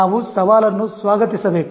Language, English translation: Kannada, So we need to welcome challenge